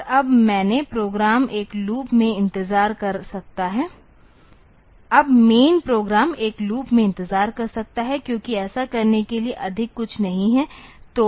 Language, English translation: Hindi, And now the main program can wait in a loop because there is nothing more to do